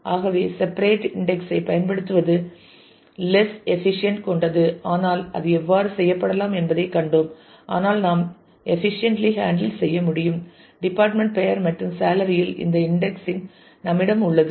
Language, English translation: Tamil, So, using separate index is less efficient though we saw how that can be done, but we can also efficiently handle if we have this indexing on department name and salary